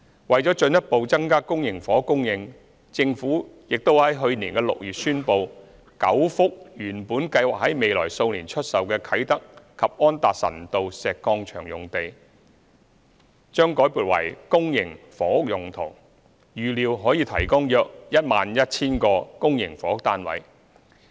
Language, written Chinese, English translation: Cantonese, 為進一步增加公營房屋供應，政府亦已於去年6月宣布 ，9 幅原本計劃在未來數年出售的啟德及安達臣道石礦場用地，將改撥為公營房屋用途，預料可提供約 11,000 個公營房屋單位。, In order to further increase public housing supply the Government announced in June last year the re - allocation of nine sites at Kai Tak and Anderson Road Quarry originally intended for sale in the coming few years for the use of public housing . These sites are expected to provide 11 000 public housing units